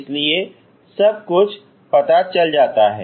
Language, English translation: Hindi, So everything is known, ok